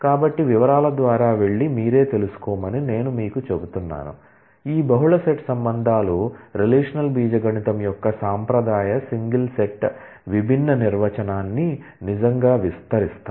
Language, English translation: Telugu, So, I will leave it to you to go through the details and convince yourself that, these multi set relations really extend the traditional single set distinct definition of the relational algebra